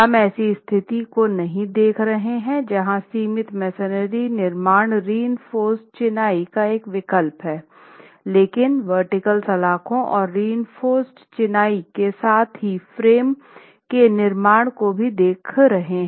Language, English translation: Hindi, We are not looking at a situation where the confined masonry construction is an alternative to that type of reinforced masonry but minimally reinforced masonry with reinforced concrete bands and vertical bars and RC frame construction as well